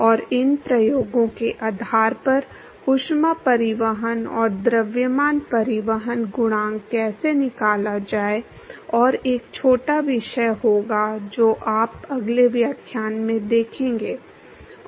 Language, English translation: Hindi, And based on these experiments, how to extract the heat transport and mass transport coefficient, and there will be a small topic which you will seen in the next lecture